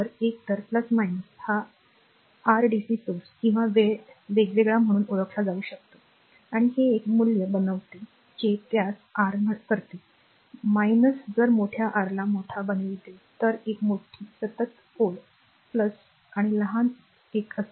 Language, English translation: Marathi, So, either plus minus it can be regarded as your dc source or time varying and this one value you make that one your what you call plus minus if you make the larger your larger one larger continuous line is plus and smaller one is minus